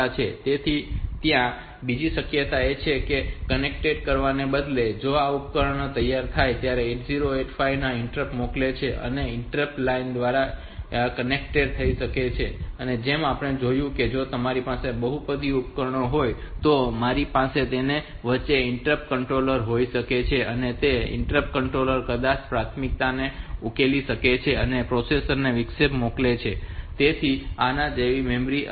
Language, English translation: Gujarati, So, other possibility is that instead of connecting it like this so this devices when they are ready there sent interrupt to the 8085, through interrupt it can they can be connected through the interrupt line and as we have seen that if i have got multiple devices then i can have in between an interrupt controller and that interrupt controller maybe this it can resolve the priorities and sent interrupt to the processor so it can do it like that